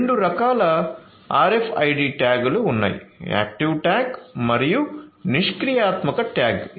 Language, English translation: Telugu, So, there are two types of RFID tags, the active tag and the passive tag